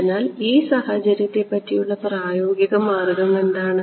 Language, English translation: Malayalam, So, what is the practical way around this situation